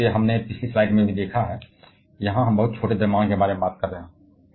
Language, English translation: Hindi, Now, both the as we have seen in the previous slide, here we are talking about extremely small mass